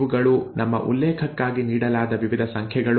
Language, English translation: Kannada, These are various numbers that are given for our reference